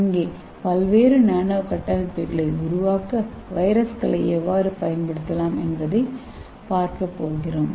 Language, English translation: Tamil, In this, we are going to see how to use virus and make use of those virus nano structures for various applications